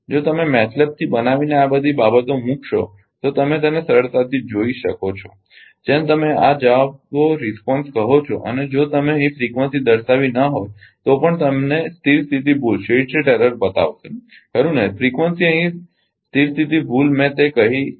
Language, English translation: Gujarati, If you make like this from MATLAB supposing if you put all this things you can easily see those what you call ah this responses and if you put frequency not shown here frequency also will show you the steady state error right frequency here steady state error I made it here